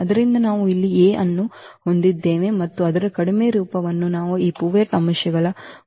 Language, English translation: Kannada, So, we have this A here and its reduced form we have these pivot elements